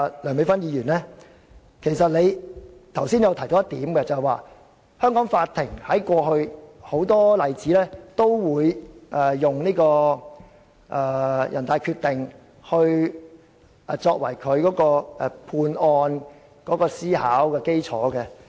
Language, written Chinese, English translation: Cantonese, 梁美芬議員剛才提到，過去香港法院很多案例也會引用人大常委會的決定作為判案的思考基礎。, This Decision of NPCSC backing the Bill is inappropriate and wrong . Just now Dr Priscilla LEUNG mentioned that in many past cases the Court in Hong Kong would cite the decision of NPCSC as the basis for deliberation in making its judgment